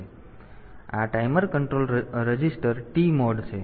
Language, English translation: Gujarati, So, this is the timer control registered is TMOD